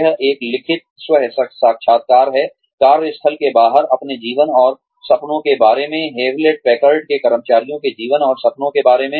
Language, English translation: Hindi, It is a written self interview, regarding the life and dreams of, the employees of Hewlett Packard, regarding their life and dreams, outside of the workplace